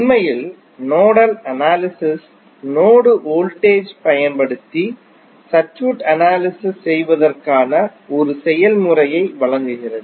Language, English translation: Tamil, Actually, nodal analysis provides a procedure for analyzing circuit using node voltage